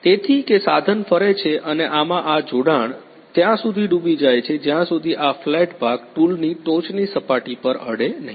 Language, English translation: Gujarati, So, that the tool rotates and plunges into this the joining line until and unless this flat part touches on the top surface of the tool ok